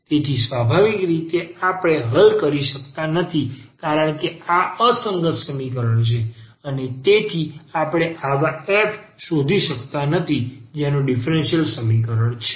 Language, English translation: Gujarati, So, naturally we cannot solve because this is inconsistent equation and hence we cannot find such a f whose differential is the given differential equation